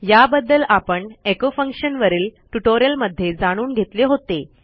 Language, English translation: Marathi, I think I have explained this in my echo function tutorial